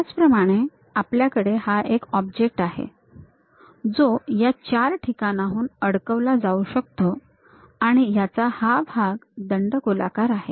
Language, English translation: Marathi, Similarly, we have this object, which can be bolted at this four locations and it has this cylindrical portion